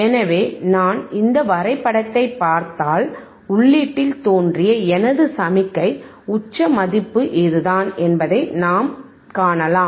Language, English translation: Tamil, So, if I just see this graph, right then I can see that my signal that appeared at the input, the peak value is this one,